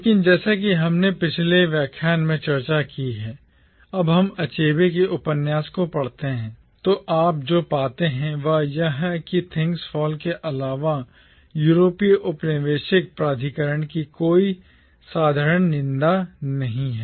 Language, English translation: Hindi, But as we have discussed in our previous lecture, when we read Achebe’s novel, what you find is that in Things Fall Apart there is no simple condemnation of the European colonial authority